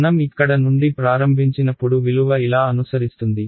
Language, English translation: Telugu, When I start from here the value will follow along a right